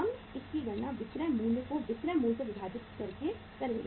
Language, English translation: Hindi, We will be calculating this as the selling price divided by the selling price